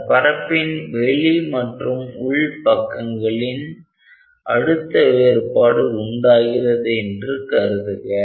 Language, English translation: Tamil, So, the membrane has a difference in pressure from the outer and the inner